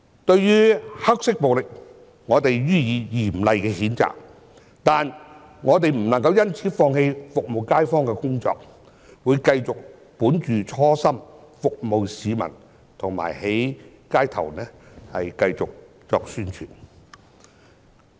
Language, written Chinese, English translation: Cantonese, 對於黑色暴力，我們予以嚴厲的譴責，但我們不能因此放棄服務街坊的工作，會繼續本着初心服務市民和在街頭繼續宣傳。, We strongly condemn the black violence but we should never give up our work of serving the community because of this and will remain true to our original aspiration continue to serve the public and keep on doing publicity work in the street